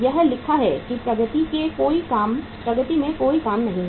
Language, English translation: Hindi, It is written here that there is no work in progress